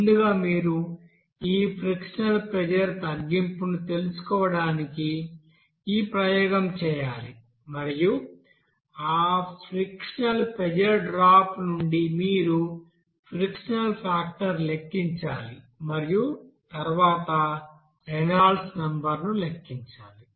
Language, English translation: Telugu, First you have to do this experimental to find out this frictional pressure drop and from that frictional pressure drop, you have to calculate what should be the you know friction factor and then Reynolds number